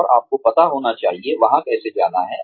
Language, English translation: Hindi, And, you should know, how to get there